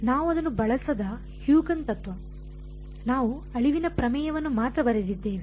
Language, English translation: Kannada, Huygens principle we have not used it, we have only wrote the extinction theorem